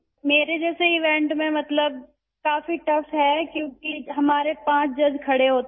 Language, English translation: Urdu, In an event like mine it is very tough because there are five judges present